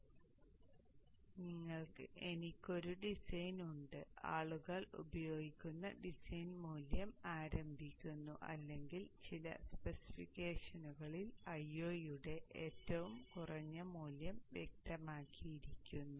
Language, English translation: Malayalam, So this is a design, a starting design value which people use or in some of the specification minimum value of I not is specified